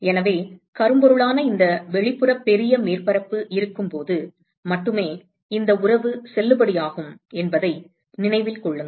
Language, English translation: Tamil, So, keep in mind that this relationship is valid only when there is this outer large surface, which is a blackbody